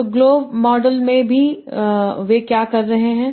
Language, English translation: Hindi, So in globe model, what they are seeing